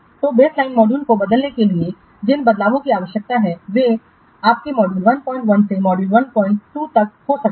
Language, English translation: Hindi, So, the changes which are needed to transform from the baseline module may be from your module 1